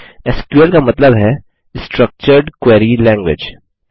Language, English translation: Hindi, SQL stands for Structured Query Language